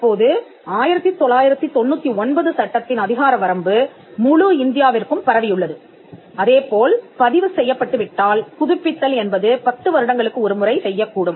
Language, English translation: Tamil, Now the jurisdiction of the 1999 act, it extends to the whole of India, the term of renewal as we just mentioned, if it is registered, it can be renewed every 10 years